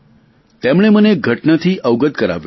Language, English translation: Gujarati, She has made me aware of an incident